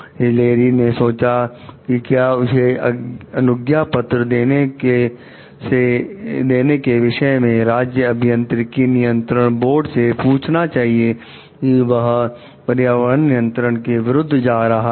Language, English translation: Hindi, Hilary considers whether to ask the state engineering registration board about the consequences of issuing a permit that goes against environmental regulations